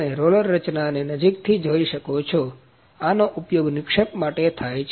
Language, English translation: Gujarati, You can see the roller mechanism closely, this is used for deposition